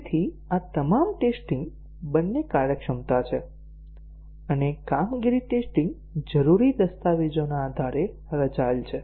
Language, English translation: Gujarati, So all these tests are both functionality and performance tests are designed based on the requirements document